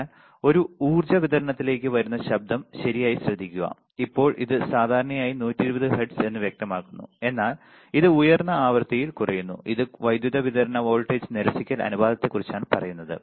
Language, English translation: Malayalam, So, that the noise coming to a power supply is taken care of right and now it is generally usually it is usually specified at 120 hertz, but it drops at the higher frequency this is about the power supply voltage rejection ratio